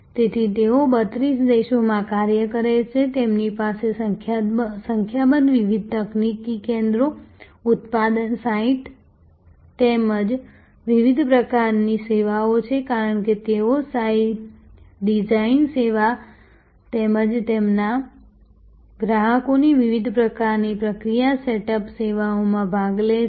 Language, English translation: Gujarati, So, they operate in 32 countries, they have number of different technical centers, manufacturing sites as well as different kinds of services, because they participate in the design service as well as different kinds of process set up services of their customers